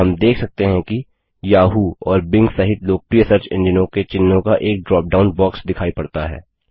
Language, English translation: Hindi, We notice that a drop down box appears with the logos of most popular search engines, including Yahoo and Bing